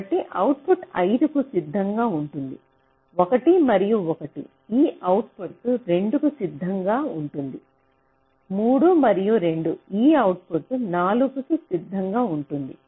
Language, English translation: Telugu, because one and one, this output will ready by two, three and two, this output will ready by four